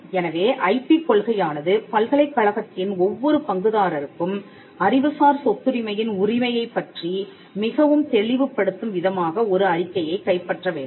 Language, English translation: Tamil, So, there will be the IP policy should capture a statement which makes it very clear for every stakeholder in the university on ownership of intellectual property rights